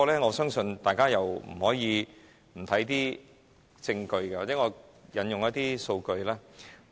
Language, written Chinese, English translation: Cantonese, 我相信大家不能不看證據，或許讓我引用一些數據。, I believe Members will never ignore the evidence . Perhaps I can quote some statistics